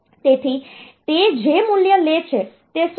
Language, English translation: Gujarati, So, what is the value that it takes in